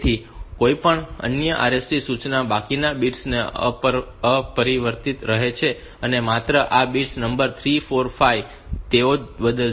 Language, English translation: Gujarati, So, these, any other RST instruction rest of the bits remain unaltered only these bits bit number 3 4 and 5